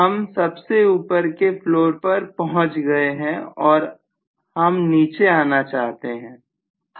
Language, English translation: Hindi, I am at the top floor and I want to come down